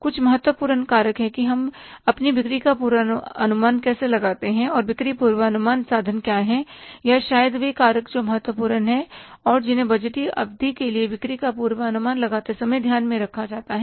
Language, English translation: Hindi, There are some important factors that how we forecast the sales, what are the sales forecasting tools or maybe the factors which are important and which are kept in mind while estimating the sales for the budgetary period